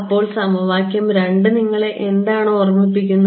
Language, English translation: Malayalam, So, what does equation 2 remind you of